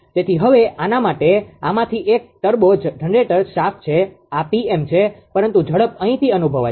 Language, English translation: Gujarati, So, now from this ah for this is a turbo generator shaft this is pm, but speed can be sensed from here